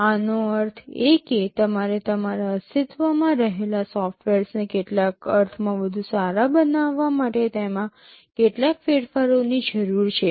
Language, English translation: Gujarati, That means, you need some modifications to your existing software to make it better in some sense